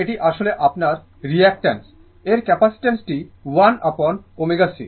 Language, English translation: Bengali, So, this is actually your capacity your reactant 1 upon omega c right